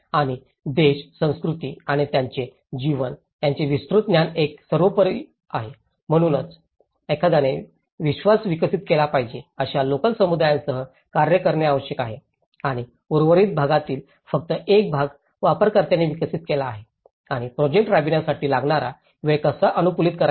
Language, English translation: Marathi, And extensive knowledge of the country, culture and its life is a paramount, so one has to work with the local communities the trust has to be developed and only a part of it has been developed in the remaining part has been developed by the users and how to optimize the time taken to carry out the project